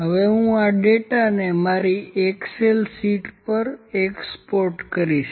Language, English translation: Gujarati, Now, I will just export this data to my excel sheet